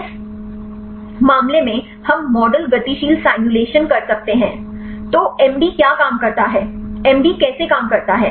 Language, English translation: Hindi, In this case we can do model dynamic simulations; so, what the MD works, how MD works